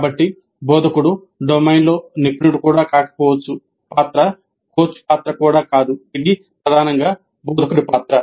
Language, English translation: Telugu, So the tutor may not be even an expert in the domain, the role is not even that of a coach, it is primarily the role of more of a tutor